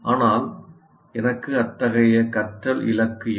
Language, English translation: Tamil, But I may not put such a learning goal